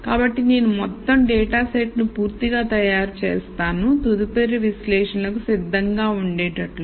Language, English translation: Telugu, So that I make the whole dataset complete and ready for further analysis